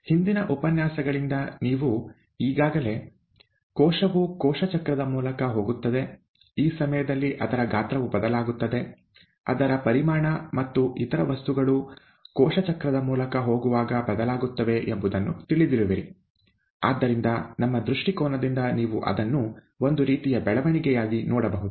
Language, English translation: Kannada, You already know from the previous lectures, that the cell goes through a cell cycle, during which its size changes, its volume and other things change as it goes through the cell cycle; and therefore you can probably look at it as some sort of a growth, from our perspective